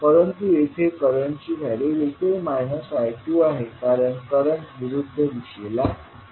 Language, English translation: Marathi, But here the value of current is also minus of I2 because the direction of current is opposite